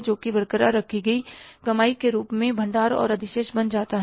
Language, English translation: Hindi, So, that becomes a reserve and surplus in the form of the retained earnings